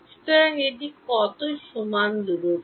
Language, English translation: Bengali, So, how much is this distance equal to